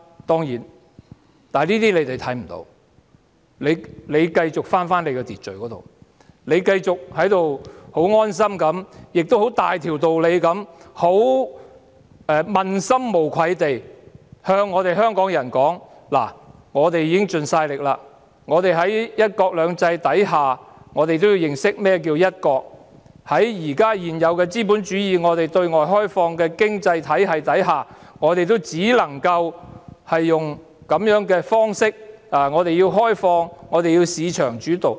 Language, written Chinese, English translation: Cantonese, 當然，對於這些情況，政府是看不到的，只是繼續返回秩序，繼續十分安心，並且大條道理、問心無愧地跟香港人說：政府已經盡力了，在"一國兩制"之下，大家也要認識何謂"一國"，在現有資本主義對外開放的經濟體系之下，我們只能夠用這種方式，因為我們要開放，以及由市場主導。, In regard to these situations the Government certainly fails to notice . The Government just keeps on moving back to the order . With its mind set at rest the Government takes it as a matter of course and tells Hong Kong people shamelessly that the Government has already done its utmost that under one country two systems citizens also need to know what is meant by one country and this is the only approach that we can adopt under the existing capitalist and open economy as we need to be open and market - oriented